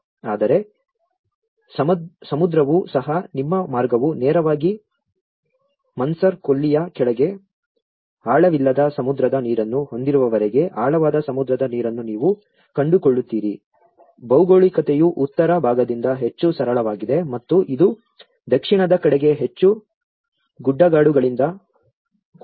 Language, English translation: Kannada, But the sea also, until your path straight you have the shallow sea waters further down the Gulf of Mannar, you find the deep sea waters also the geography is more plain from the northern side and it’s more hilly towards the southern side